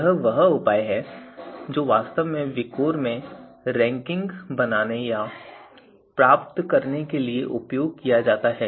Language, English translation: Hindi, So this is the measure that is actually used to produce or obtain the ranking in VIKOR